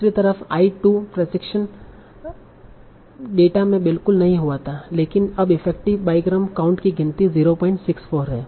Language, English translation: Hindi, On the other hand, I2 did not occur at all in my training data but now it has an effective bygram count of 0